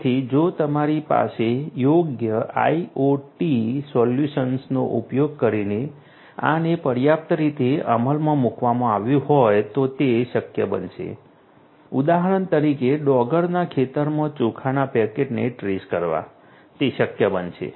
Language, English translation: Gujarati, So, if you have this adequately implemented using suitable IoT solutions it would be possible for example, to trace a rice packet back to the paddy field that will be possible